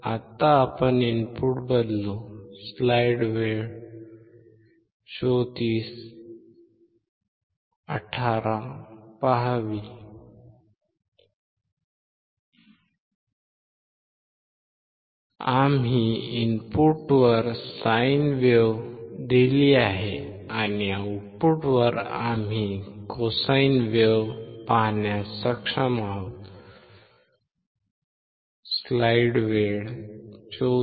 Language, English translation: Marathi, We have given a sine wave at the input and at the output we are able to see a cosine wave